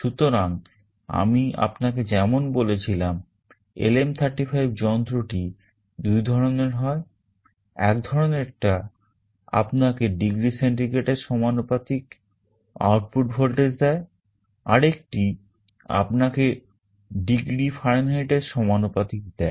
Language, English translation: Bengali, So, there are two families of LM35 device I told you, one gives you the output voltage proportional to degree centigrade other proportional to degree Fahrenheit